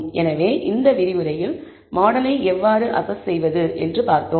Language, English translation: Tamil, So, in this lecture, we saw how to assess the model